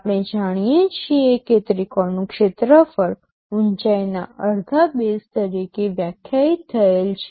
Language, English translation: Gujarati, We know that the area of a triangle is defined as half base into height